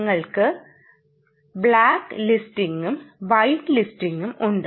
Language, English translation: Malayalam, we have black listing, white listing